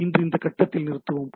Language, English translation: Tamil, So let us stop at this stage today